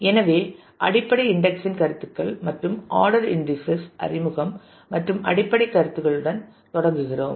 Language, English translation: Tamil, So, introduction of the basic indexing concepts and the order indices and we start with the basic concepts